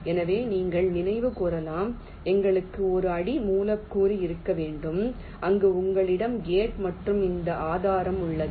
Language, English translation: Tamil, so you can recall, we need to have a substrate where you have the gate and this source